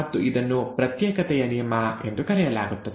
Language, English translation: Kannada, And this is called the law of segregation